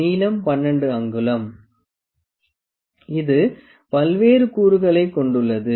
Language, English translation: Tamil, The length is 12 inch; it is having various components